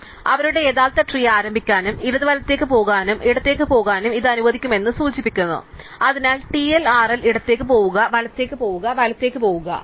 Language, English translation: Malayalam, So, this supposed to indicate let us started their original tree go and left go right and go left, so TLRL go left, go right, go right